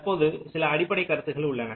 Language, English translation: Tamil, now some of the basic concepts